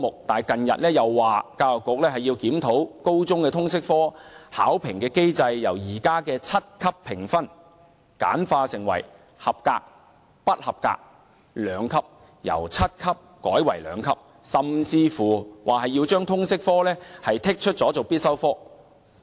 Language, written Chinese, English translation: Cantonese, 但近日又說，教育局要檢討高中通識科的考評機制，由現時的七級評分簡化成合格及不合格兩級，甚至說要將通識科剔出必修科之列。, In recent days however we are told that the examination and assessment mechanism for Liberal Studies will be reviewed and the existing seven - grade assessment scheme will be simplified to a two - grade scheme and the Liberal Studies subject may even be removed from the list of mandatory subjects